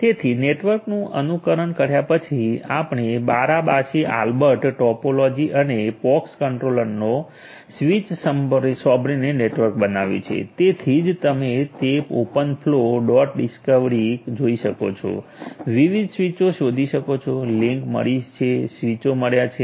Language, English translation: Gujarati, So, after emulating the network so, you have created the network using Barabasi Albert topology and the pox controller listening to the switches that is why you can see that open flow dot discovery, discover different switches the link detected the switches detected